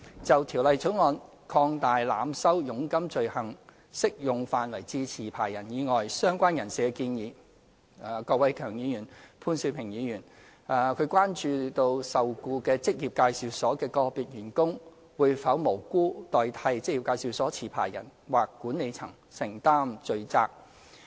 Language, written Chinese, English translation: Cantonese, 就《條例草案》擴大濫收佣金罪行適用範圍至持牌人以外的相關人士的建議，郭偉强議員、潘兆平議員關注受僱於職業介紹所的個別員工會否無辜代替職業介紹所持牌人或管理層承擔罪責。, Regarding the Bills proposal to extend the scope of the offence of overcharging of commission from jobseekers to persons associated with the licensee Mr KWOK Wai - keung and Mr POON Siu - ping expressed concerns about whether individual employees of an employment agency could innocently take the blame for the licensee or the management